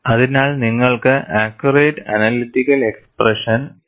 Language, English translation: Malayalam, So, you need to have accurate analytical expression